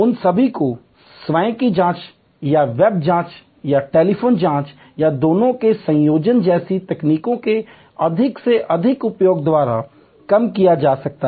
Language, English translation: Hindi, All that can be mitigated by more and more use of technologies like self checking or web checking or telephone checking or a combination of both